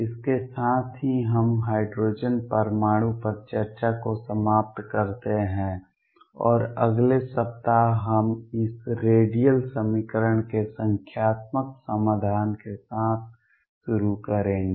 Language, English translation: Hindi, With this we stop the discussion on hydrogen atom, and next week we will begin with numerical solution of this radial equation